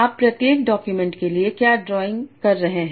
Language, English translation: Hindi, Now what is it, what are you drawing for each document